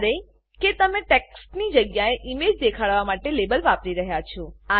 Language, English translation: Gujarati, However, you are using the label to display an image rather than text